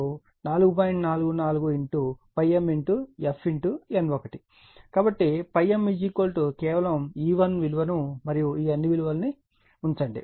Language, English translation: Telugu, 44 phi m f into N 1 therefore, phi m is equal to you just put E 1 value and all these values